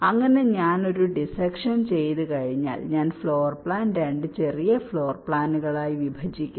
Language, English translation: Malayalam, once i do a dissection, i divide the floor plan into two smaller floor plans